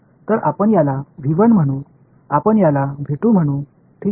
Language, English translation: Marathi, So, let us call this V 1 let us call this V 2 ok